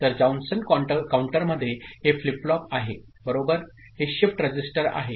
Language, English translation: Marathi, So, in Johnson counter this is the flip flop right and this is the shift register